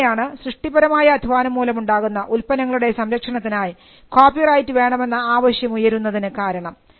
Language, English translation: Malayalam, So, that itself triggered the emergence of copyright as a right to protect the products of creative labour